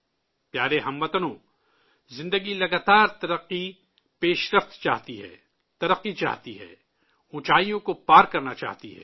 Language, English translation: Urdu, life desires continuous progress, desires development, desires to surpass heights